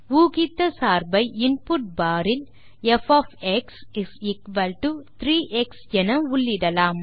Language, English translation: Tamil, The predicted function can be input in the input bar as f = 3 x